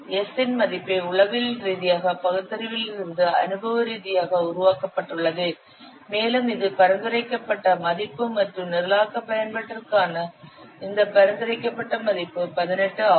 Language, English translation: Tamil, The value of S has been empirical developed from psychological reasoning and it is recommended value and its recommended value for programming application is 18